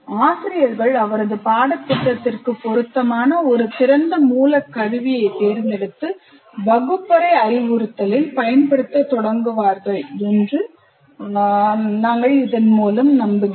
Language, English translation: Tamil, So hopefully the teachers would select an open source tool appropriate to his course and start using in your classroom instruction